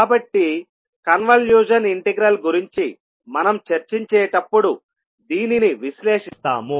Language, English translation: Telugu, So, this we will analyze when we'll discuss about convolution integral